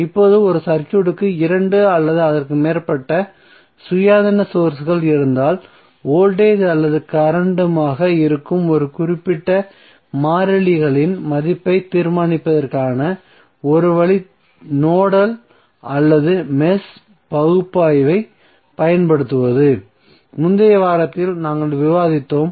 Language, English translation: Tamil, Now if a circuit has 2 or more independent sources the one way to determine the value of a specific variables that is may be voltage or current is to use nodal or match analysis, which we discussed in the previous week